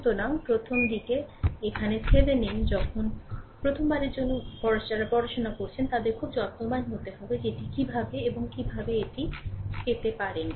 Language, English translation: Bengali, So, here Thevenin’s initially when first time those who are studying first time for them just you have to be very care full that how you do it and how you can get it right